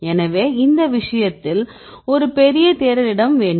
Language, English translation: Tamil, So, in this case we need to have a large search space